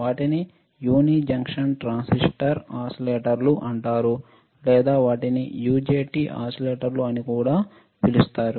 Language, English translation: Telugu, They are called uni junction transistor oscillators or they are also called UJT oscillators, all right